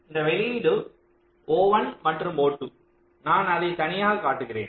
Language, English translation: Tamil, so this output, o one and o two, i am showing it separately